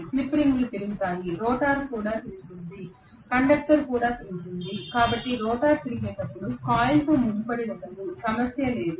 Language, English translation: Telugu, The slip rings rotate, the rotor rotates, the conductor also rotate so there is no intertwining of the coil when the rotor is rotating, there is no problem